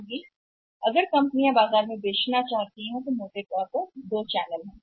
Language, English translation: Hindi, If you think or when the companies want to sell the product in the market, largely there are two channels